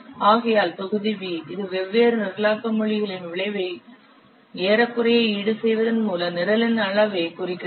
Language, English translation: Tamil, Therefore, the volume V, it represents the size of the program by approximately compensatory for the effect of the different programming languages used